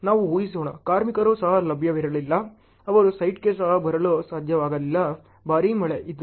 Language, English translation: Kannada, Let us assume, the labors were not even available, they could not even come to the site, it was heavy rain, this that